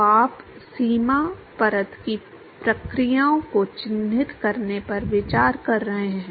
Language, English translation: Hindi, So, you are looking at characterizing the processes of the boundary layer